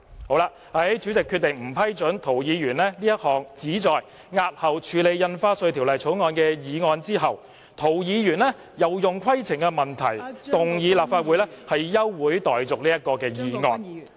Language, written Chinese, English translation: Cantonese, 在主席決定不批准涂議員這項旨在押後處理《條例草案》的議案後，涂議員又以規程問題要求動議立法會休會待續議案......, When the President decided not to approve Mr TOs motion to postpone the scrutiny of the Bill Mr TO raised a point of order requesting to move a motion to adjourn the Council